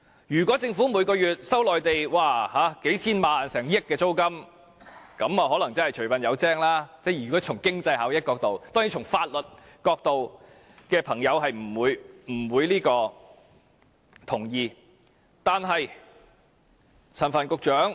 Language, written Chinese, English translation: Cantonese, 如果政府每月收取內地達數千萬元甚至近億元租金，那麼從經濟效益角度來看，可能除笨有精，但當然，從法律角度來看的朋友是不會同意的。, If the Government receives a monthly rent amounting to tens of millions of dollars or even nearly 100 million from the Mainland then from the perspective of economic benefits it may make the best of a bad bargain . But certainly people looking at it from the angle of law will disagree